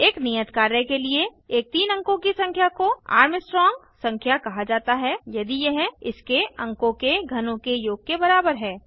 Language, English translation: Hindi, For assignment , a three digit number is called Armstrong Number if it is equal to the sum of cubes of its digits